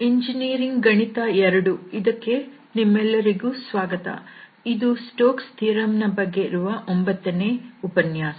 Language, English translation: Kannada, So, welcome to lectures on engineering mathematics 2 and this is a lecture number 9 on Stokes Theorem